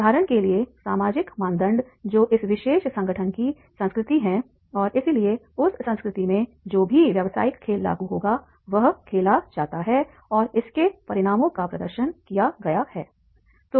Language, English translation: Hindi, For example, social parameters that is this organization culture of this particular organization is like this and therefore in that culture whatever business game is played and the consequence has been demonstrated that will be applicable